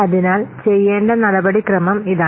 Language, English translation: Malayalam, So this is the procedure to do